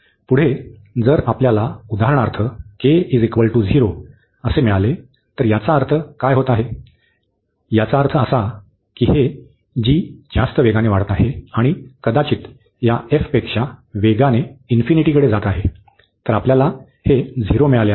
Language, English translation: Marathi, Further if we get for example this k to be 0, so in this case what is happening that means, this s this g is growing much faster and perhaps going to infinity than this f x, so we got this 0